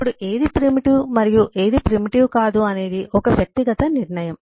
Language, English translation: Telugu, Now, what is a primitive and eh, what is eh not a primitive is kind of a subjective decision